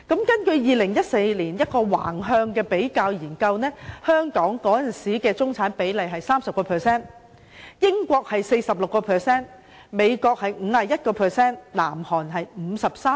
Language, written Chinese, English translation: Cantonese, 根據2014年一項橫向比較研究，香港當時的中產人口比例是 30%， 英國是 46%， 美國是 51%， 南韓則是 53%。, According to a lateral comparative study conducted in 2014 the proportion of middle - class population in Hong Kong then was 30 % while that in the United Kingdom the United States and South Korea was 46 % 51 % and 53 % respectively